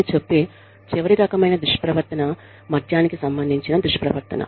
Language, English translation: Telugu, The last type of misconduct, that i will deal with is, alcohol related misconduct